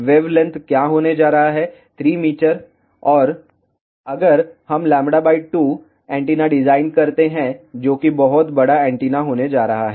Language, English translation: Hindi, What is going to be the wavelength, 3 meter and if we design a lambda by 2 antenna that is going to be a very large antenna